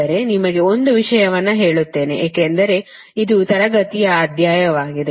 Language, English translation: Kannada, but let me tell you one thing, as it is a classroom exercise